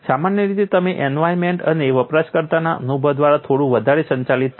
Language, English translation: Gujarati, Generally it is slightly more governed by the environment and the experience of the user